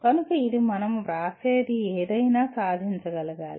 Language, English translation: Telugu, So it should be anything that we write should be achievable